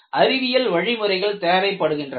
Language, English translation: Tamil, I need to have a scientific methodology